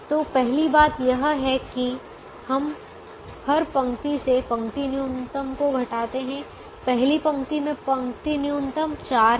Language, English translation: Hindi, so first thing is we subtract the row minimum from every row